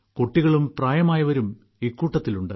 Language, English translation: Malayalam, There are children as well as the elderly in this group